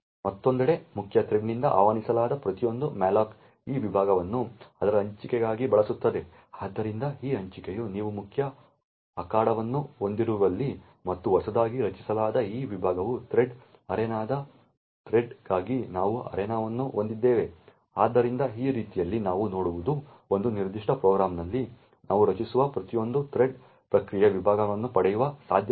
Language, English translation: Kannada, On the other hand every malloc that is invoked from the main thread would use this segment for its allocation, so this allocation is where you have the main arena and this newly created segment is where we would have arena for the thread of the thread arena, so in this way what we see is that it is likely that every thread that we create in a particular program gets a separate segment